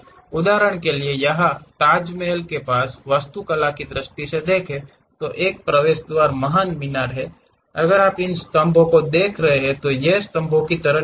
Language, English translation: Hindi, For example, here let us look at for architecture point of view, near Taj Mahal, there is an entrance gate the great tower, if you are looking at these columns these are not rounded kind of column towers